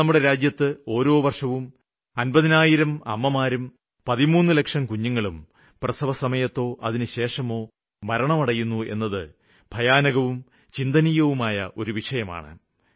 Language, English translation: Malayalam, And it is true that in our country about 50,000 mothers and almost 13 lakh children die during delivery or immediately after it every year